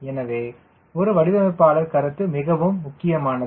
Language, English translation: Tamil, so they, that is where a designer perception is very, very important